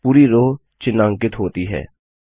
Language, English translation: Hindi, The entire row gets highlighted